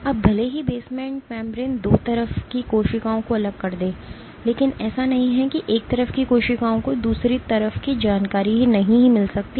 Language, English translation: Hindi, Now even though the basement membrane segregate cells on 2 sides of it is not that cells on one side cannot get information about the other side